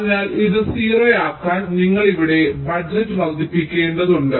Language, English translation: Malayalam, so to make this zero, you have to increase the budget here